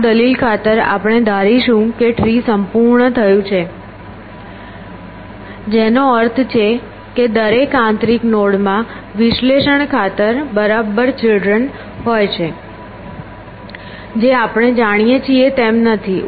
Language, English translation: Gujarati, So, for this argument sake we will assume that the tree is complete which means the every internal node has exactly be children for the sake of analysis which is not the case as we know